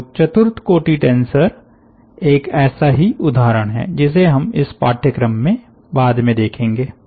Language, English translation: Hindi, so a fourth or a tensor is one such example which will come across later on this course